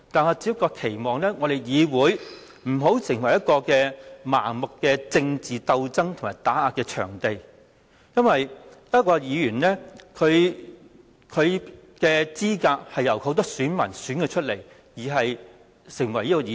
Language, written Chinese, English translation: Cantonese, 可是，我期望議會不要成為一個盲目的政治鬥爭和打壓場地，因為一名議員是由很多選民投票選出，才可以成為議員。, However I hope that this Council will not become a venue for blind political struggles and suppression because a Member is returned by the votes of many voters and this is how a Member is qualified from office